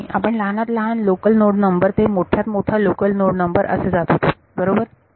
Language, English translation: Marathi, No we were going from smaller local node number to larger local node number right